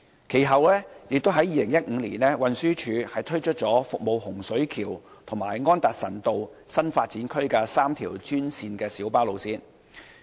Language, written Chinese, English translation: Cantonese, 其後在2015年，運輸署推出了服務洪水橋和安達臣道新發展區的3條專線小巴路線。, Subsequently in 2015 TD introduced three GMB routes to serve the new development areas of Hung Shui Kiu and Anderson Road